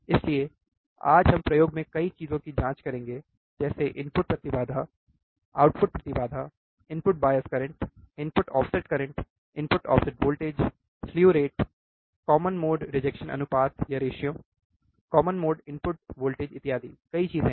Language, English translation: Hindi, So, today we will check several things in the in the experiment starting with the input impedance, output impedance, input bias current, input offset current, input offset voltage, slew rate, common mode rejection ratio, common mode input voltage so, several things are there right